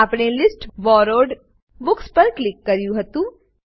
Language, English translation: Gujarati, We had clicked on List Borrowed Books